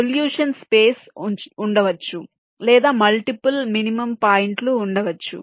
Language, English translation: Telugu, there can be a solution space or there can be multiple minimum points